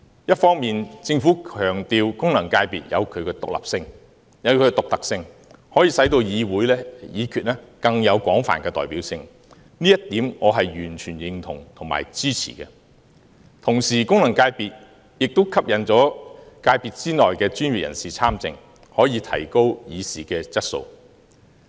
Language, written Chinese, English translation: Cantonese, 一方面，政府強調功能界別有其獨特性，可以令議會議決更有廣泛代表性，這一點我是完全認同和支持的。同時，功能界別可吸引界別內的專業人士參政，提高議事的質素。, On the one hand the Government emphasizes that FCs are unique in that they can increase the representativeness of deliberations of the Legislative Council and attract professionals of various sectors to engage in politics which will raise the standard of deliberations